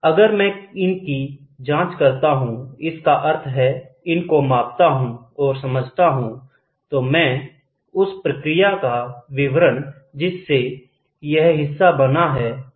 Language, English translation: Hindi, If I can monitor them; that means, to say measure them and then understand them then I, can dictate the process through which the part is made